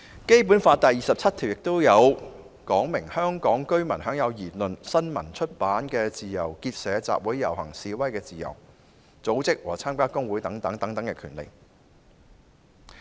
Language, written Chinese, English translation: Cantonese, 《基本法》第二十七條訂明，香港居民享有言論、新聞、出版的自由，結社、集會、遊行、示威的自由，組織和參加工會等權利。, Under Article 27 of the Basic Law Hong Kong residents shall have freedom of speech of the press and of publication; freedom of association of assembly of procession and of demonstration; and the right and freedom to form and join trade unions and to strike